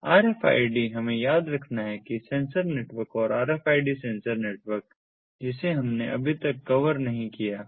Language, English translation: Hindi, we have to remember that sensor networks and rfid sensor networks we have not yet covered will cover in a subsequent lecture